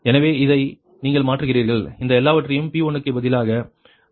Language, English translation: Tamil, so with this you substitute your, you substitute all this things for p one right, this p one right